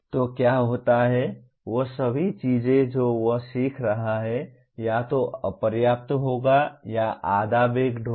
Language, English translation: Hindi, So what happens is all the things that he is learning will either be inadequate or will be half baked